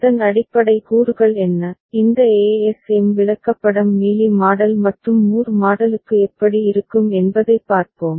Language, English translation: Tamil, And we shall look at how what are the basic components of it and how these ASM chart looks like for Mealy Model and Moore Model